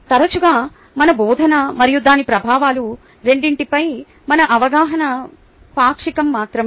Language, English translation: Telugu, often, our awareness of both our teaching and its effects is only partial